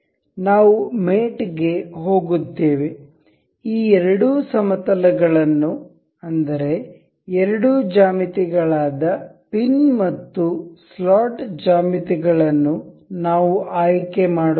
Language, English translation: Kannada, We will go to mate, we will select the planes of these two with these are the two geometry the pin and the slot geometry